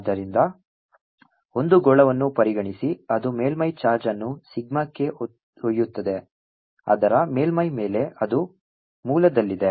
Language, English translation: Kannada, so consider a sphere, it carries a surface charge into sigma over its surface